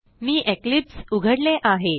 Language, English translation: Marathi, I already have Eclipse opened